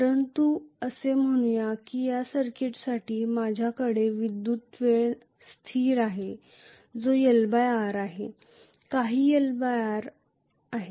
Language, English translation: Marathi, But let us say I have a time constant electrical time constant for this circuit which is L by R, some L by R